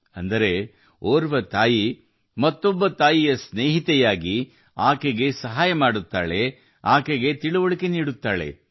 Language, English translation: Kannada, That is, one mother becomes a friend of another mother, helps her, and teaches her